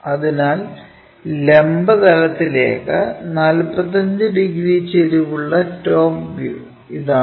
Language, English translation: Malayalam, So, this is the top view that has to make 45 degrees inclined to the vertical plane